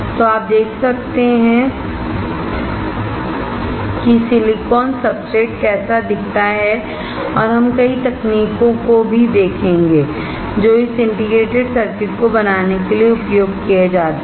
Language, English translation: Hindi, So, you can see how silicon substrate looks like and we will also see several techniques that are used to fabricate this integrated circuits